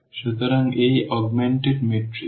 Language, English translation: Bengali, So, this augmented matrix